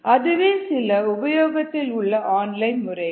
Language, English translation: Tamil, there are a few online methods